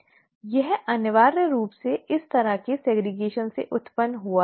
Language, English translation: Hindi, This is essentially what has resulted from this kind of a segregation